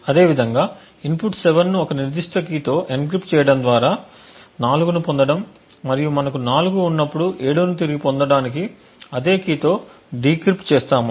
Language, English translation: Telugu, In a similar way by taking the input 7 encrypting it with a specific key and obtaining 4 and at the other end when we have 4 we decrypt it with the same key to obtain back the 7